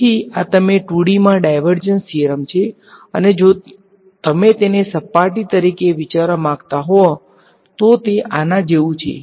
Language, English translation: Gujarati, So, this is you divergence theorem in 2D right, and if you want think of it as a surface it’s like this